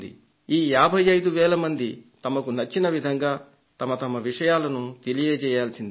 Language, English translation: Telugu, These 55,000 people expressed themselves in their own way